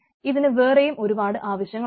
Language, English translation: Malayalam, there are several other requirements